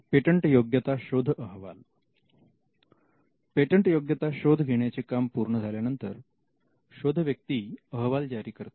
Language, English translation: Marathi, The patentability search report; Once the patentability searches are done, the searcher would generate a report